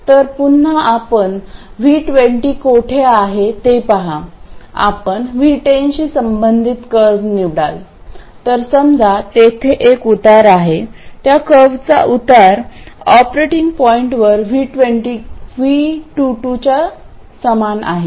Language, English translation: Marathi, So, again, you look at where V2 is, you pick the curve corresponding to V1 0, so let's say it is that one, then the slope there, slope of that curve at the operating point, that is equal to Y22